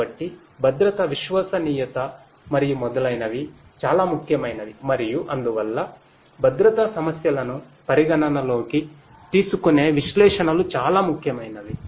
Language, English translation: Telugu, So, safety reliability and so on are very very important and so, analytics considering safety issues are very important